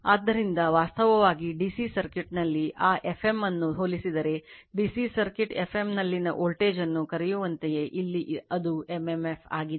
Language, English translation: Kannada, So, actually in the DC circuit, if you compare that F m actually like your what you call the voltage in DC circuit emf right, here it is m m f